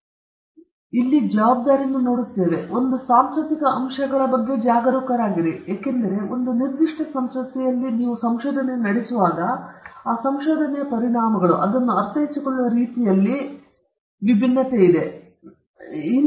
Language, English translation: Kannada, Here is again we could see responsibility coming in; one has be careful about the cultural factors, because when a research is conducted in a one particular culture, the implications of that research, the way in which it is understood, all will be different when it is the same research is conducted in some certain other culture